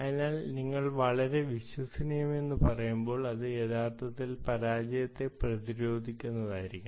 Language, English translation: Malayalam, so when you say highly reliable, you actually mean it should be failure resistant